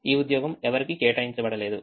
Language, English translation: Telugu, this job is not assigned to anybody